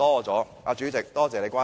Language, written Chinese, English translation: Cantonese, 主席，多謝你關心。, President thank you for your concern